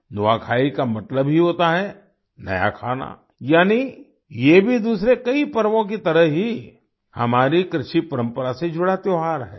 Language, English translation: Hindi, Nuakhai simply means new food, that is, this too, like many other festivals, is a festival associated with our agricultural traditions